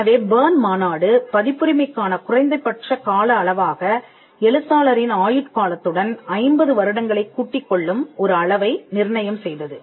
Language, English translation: Tamil, So, the Berne convention fixed the minimum duration of copyright for most works as life of the author plus 50 years